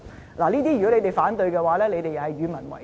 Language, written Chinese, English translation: Cantonese, 如果這些他們也反對的話，他們便是與民為敵。, If those Members opposed even these projects they will be the enemies of the people